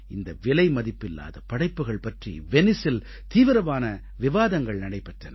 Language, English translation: Tamil, This invaluable artwork was a high point of discourse at Venice